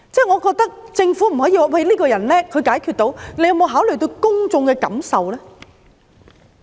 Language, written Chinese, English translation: Cantonese, 我覺得政府不可以只說這個人能幹，能夠解決問題，它有否考慮過公眾的感受呢？, I think the Government cannot just say that this person is competent and able to solve problems . Has it considered the publics feelings?